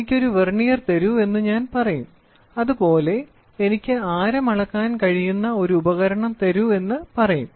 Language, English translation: Malayalam, I will try to say please give me a Vernier; please give me a device where it can measure the radius